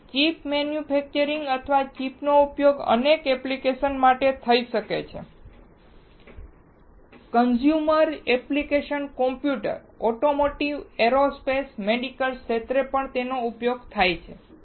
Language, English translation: Gujarati, So, chip manufacturer or chip are used for several application, the consumer applications are computers, automotive, aerospace, medical